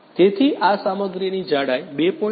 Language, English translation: Gujarati, So, the thickness of this material is 2